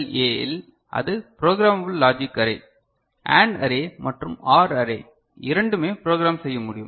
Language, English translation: Tamil, And in PLA ok, so that is Programmable Logic Array so both AND array and OR array are programmable